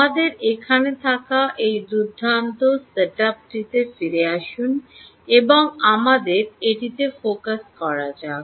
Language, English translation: Bengali, lets go back to this nice setup that we have here and lets focus on this